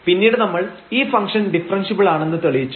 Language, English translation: Malayalam, And, then we have proved that this function is differentiable